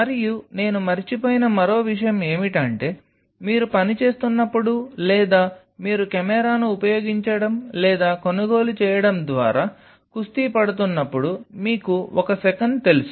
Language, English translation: Telugu, And one more thing which I forgot is while you are working out or kind of you know one second while you are wrestling through using or buying a camera